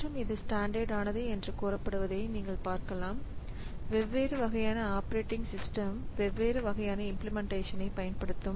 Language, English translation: Tamil, And you see that this is said to be a standard and so different operating systems may have different implementations of them